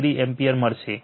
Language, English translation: Gujarati, 87 degree ampere